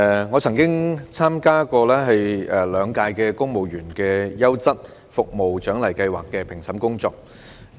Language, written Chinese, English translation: Cantonese, 我曾經參與兩屆公務員優質服務獎勵計劃的評審工作。, I have participated in the Civil Service Outstanding Service Award Scheme as an adjudicator for two years